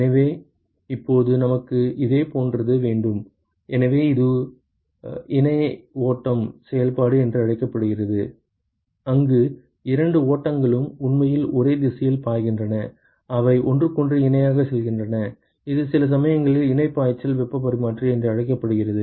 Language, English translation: Tamil, So, now we could have a similar; so this is called the co current operation, where both streams are actually flowing in the same direction: they are going parallel to each other, this is also sometimes called as parallel flow heat exchanger